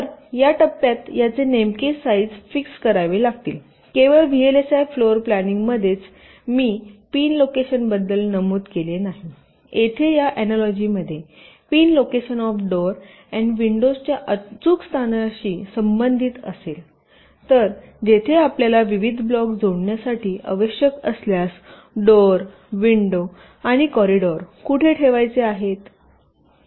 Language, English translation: Marathi, not only that, in in vlsi floorplanning i mentioned ah about the pin locations here in this analogy the pin location would correspond to the exact location of the doors and windows, so where you want to put, put the doors, windows and the corridors if required for connecting the different blocks